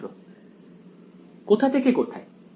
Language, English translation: Bengali, From where to where